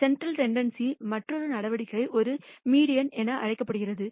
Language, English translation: Tamil, Another measure of central tendency is what is called a median